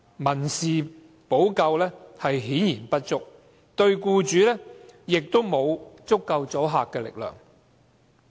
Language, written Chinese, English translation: Cantonese, 民事補救顯然不足，對僱主亦沒有足夠的阻嚇力。, The civil remedy is obviously insufficient and has no deterrent effect on the employer